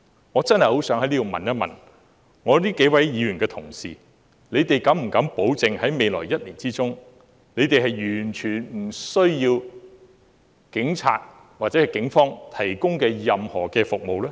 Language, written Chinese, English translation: Cantonese, 我真的很想問這幾位議員，敢不敢保證在未來1年完全不需要警方提供的任何服務呢？, I really want to ask these Members Do they dare guarantee that they will not require any police services in the coming year?